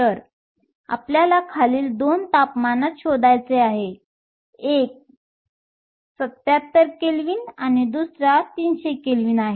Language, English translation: Marathi, So, we want to find the following at 2 temperatures; one is 77 Kelvin and the other is 300 Kelvin